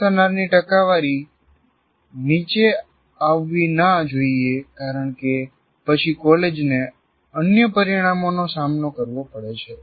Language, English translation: Gujarati, Past percentages cannot come down because then the college will have to face some other consequences